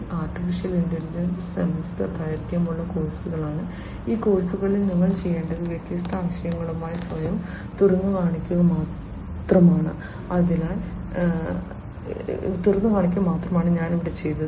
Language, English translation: Malayalam, Artificial intelligence are you know courses, semester long courses themselves and you know all you need to do in this course is just to get yourself exposed to the different concepts and which is what I have done